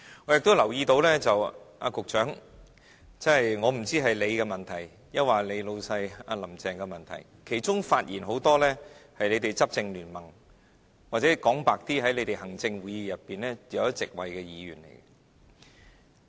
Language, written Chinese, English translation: Cantonese, 我也留意到局長，我不知道這是局長的問題，還是你的老闆"林鄭"的問題，其中很多發言的是你們執政聯盟的人，或者說得坦白一點，是在你們行政會議裏有一席位的議員。, I have also noted the Secretary but I am not sure if it is the problem of the Secretary or the problem of your boss Carrie LAM . A lot of Members who have spoken are Members from the ruling coalition . Frankly speaking they are Members who have been awarded a seat in the Executive Council